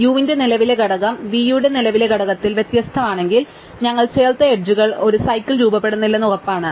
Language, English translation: Malayalam, If the current component of u is different in the current component of v, then we are sure that the edge v i add does not form a cycle